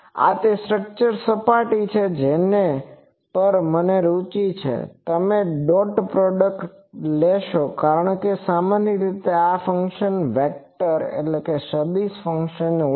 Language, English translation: Gujarati, This is over the surface of the structure on which I am interested you take the dot product because these are generally these functions are also vector functions